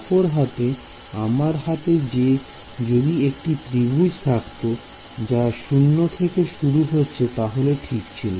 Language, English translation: Bengali, On the other hand if I had a triangle starting from zero, then it is fine ok